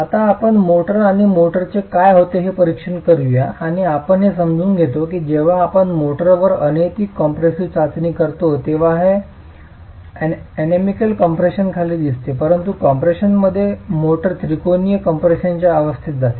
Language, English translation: Marathi, Now let's examine motor and what's happening to motor and we understand that when we are doing a uniaxial compressive test on the motor, it's under uniaxial compression but in the prism under compression the motor goes into the state of triaxil compression